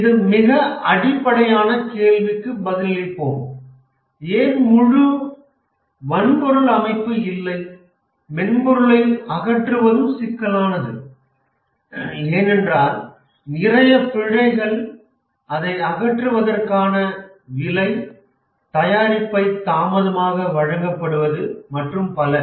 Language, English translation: Tamil, Let's answer this very basic question that why not have an entirely hardware system, get rid of software, it's problematic, expensive, lot of bugs, delivered late, and so on